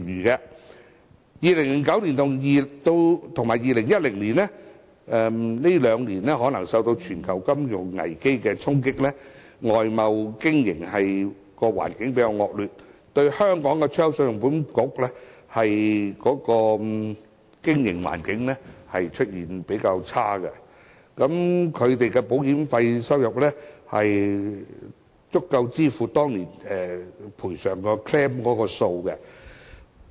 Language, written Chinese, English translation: Cantonese, 以2009年和2010年來說，可能這兩年因為受到全球金融危機的衝擊，外貿經營的環境較為惡劣，信保局的經營環境較差，保險費收入足以支付當年索償的數字。, Let us take 2009 and 2010 as an example . External trade suffered from the shock caused by the global financial crises during the two years and probably because of this ECICs premiums received were sufficient to meet the insurance claims submitted in these two years against the backdrop of a poor business environment